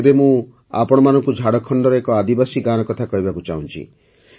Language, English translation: Odia, I now want to tell you about a tribal village in Jharkhand